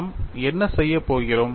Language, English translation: Tamil, For which what I am doing